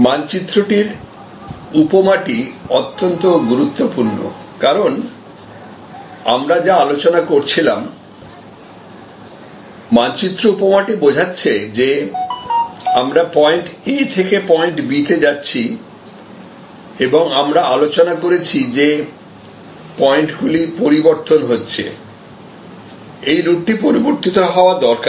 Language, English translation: Bengali, The map metaphor is very important, because as we were discussing, the map metaphor tells us, that we are going from point A to point B and we have discussed that this is changing, this is changing therefore, this route needs to change